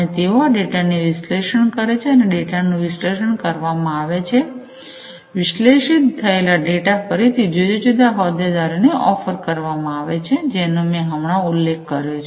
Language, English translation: Gujarati, And they this data are also analyzed and this analysis of the data is done, and that analyze data is again offered to these different stakeholders that I just mentioned